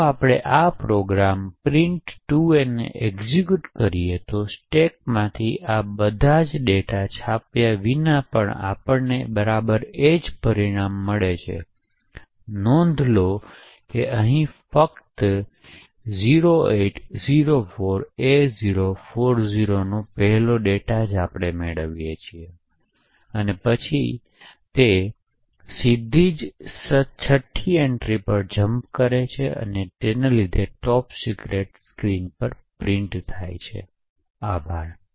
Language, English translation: Gujarati, If we execute this program print2a we get exactly the same result without all of this intermediate data from the stack getting printed, so note that over here we just get the first data that is 0804a040 and then it jumps directly to the sixth entry or the sixth argument and causes this is a top secret message to be printed on the screen, thank you